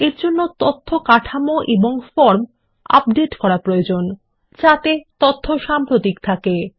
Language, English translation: Bengali, This includes modifying the data structure, and updating forms as is necessary to keep the data current